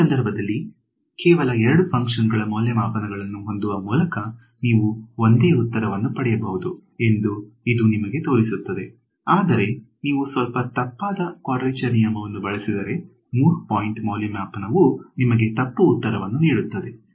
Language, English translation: Kannada, So, this just shows you that you can get the same answer by having only 2 function evaluations in this case whereas, if you use a slightly inaccurate quadrature rule even a 3 point evaluation gives you the wrong answer ok